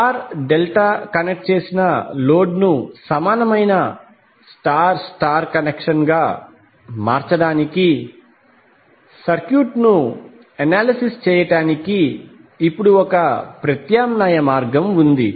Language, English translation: Telugu, Now there is an alternate way also to analyze the circuit to transform star delta connected load to equivalent star star connection